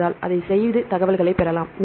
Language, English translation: Tamil, So, we can do it and get the information